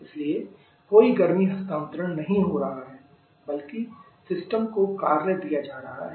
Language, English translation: Hindi, So, no heat transfer is taking place rather work is being given to the system